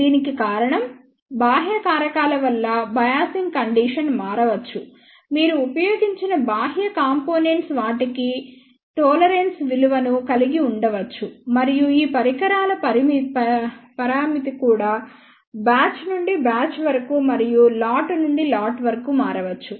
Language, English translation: Telugu, The reason for that is because of external factors the biasing condition may change, the external components which you have used that they may have a tolerance value and also many of these devices parameter also may change from batch to batch and lot to lot